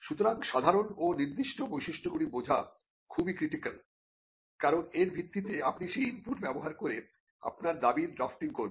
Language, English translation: Bengali, So, understanding the general features and the specific features will be critical, because based on that you will be using that input and drafting your claim